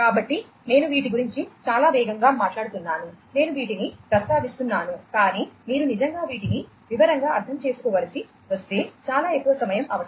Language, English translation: Telugu, So, I am talking about these in a very high level you know quite fast I am mentioning these, but if you really have to go through and understand these in detail a lot more time will be required